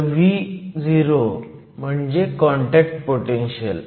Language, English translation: Marathi, So, Vo represents the contact potential